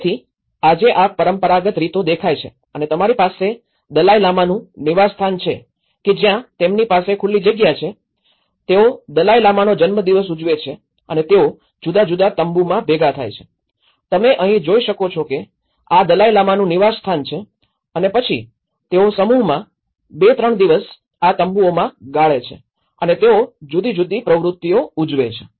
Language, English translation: Gujarati, So, today this is how the traditional patterns look like and you have the Dalai Lama's residence and where they have the open space, they celebrate Dalai Lama's birthday and they gather in different tents what you can see here is this is how the Dalai Lama's residence and then, these tents they come in a clusters to spend 2, 3 days there and they celebrate different activities